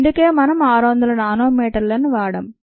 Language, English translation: Telugu, that's a reason why we used about six hundred nanometres